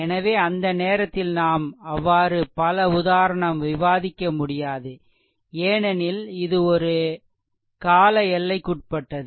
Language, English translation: Tamil, So, at that time we cannot discuss so, many example because it is a time bounding